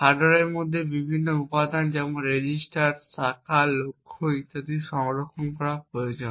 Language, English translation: Bengali, The various components within the hardware such as register, branch history targets and so on would require to be saved